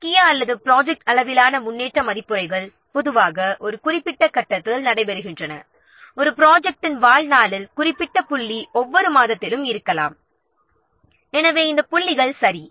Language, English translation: Tamil, Major or project level progress reviews generally takes place at particular points during the life affair project maybe you can say that every month, okay